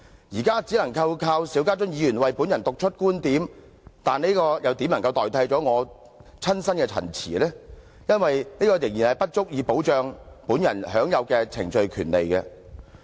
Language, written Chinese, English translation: Cantonese, 現在只能靠邵家臻議員為本人讀出觀點，但這又怎能替代本人親身的陳辭？因為這仍不足以保障本人享有的程序權利。, Now I can only rely on Mr SHIU Ka - chun to read out my viewpoints but how can this take the place of having me make my own representations in person since the procedural rights to which I am entitled are not adequately protected?